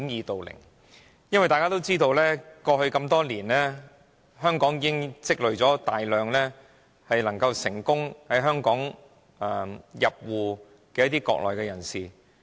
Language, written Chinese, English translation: Cantonese, 大家都知道，過去多年，香港已積累了大量成功入戶的國內人士。, As we all know over the years many Mainlanders have become Hong Kong residents